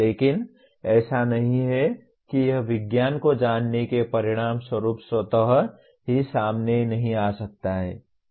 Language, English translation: Hindi, But not it cannot automatically come out as a consequence of knowing the science